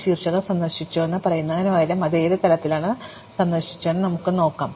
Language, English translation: Malayalam, So, instead of just saying that a vertex is visited, we can ask at what level it was visit